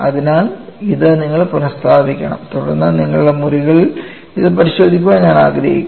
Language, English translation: Malayalam, So, this you will have to substitute it and then I would like you to verify it in your rooms